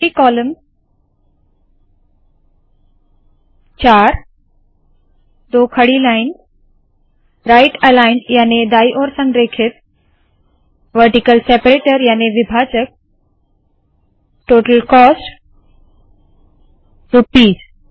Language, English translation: Hindi, Multi column four 2 vertical lines, right aligned vertical separator Total cost Rupees